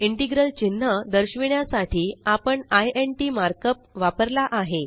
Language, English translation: Marathi, We have used the mark up int to denote the integral symbol